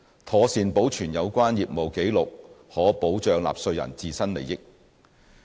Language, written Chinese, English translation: Cantonese, 妥善保存有關業務紀錄可保障納稅人自身利益。, Proper retention of relevant business records will safeguard the interests of taxpayers